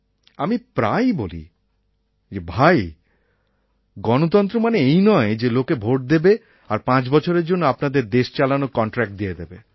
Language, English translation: Bengali, I always stress that Democracy doesn't merely mean that people vote for you and give you the contract to run this country for five years